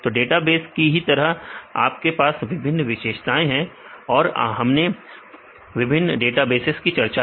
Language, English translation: Hindi, So, you have several characteristic of features and we discussed about the various databases